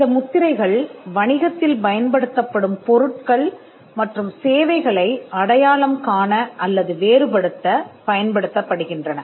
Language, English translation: Tamil, These marks are used to identify or distinguish goods and services that are used in business